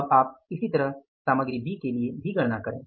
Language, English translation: Hindi, Now you calculate like this for the material B